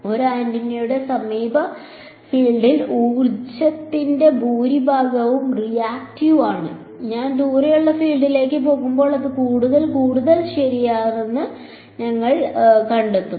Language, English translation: Malayalam, In the near field of an antenna most of the energy is reactive, as I go into the far field we will find that it becomes more and more real ok